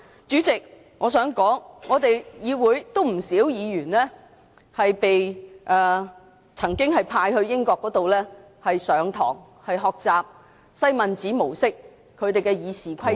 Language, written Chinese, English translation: Cantonese, 主席，我想說，立法會有不少議員曾經被派到英國學習西敏寺模式的《議事規則》......, President I would like to say that some Members of the Legislative Council have been sent to the United Kingdom to receive training on parliamentary practice of the Westminster model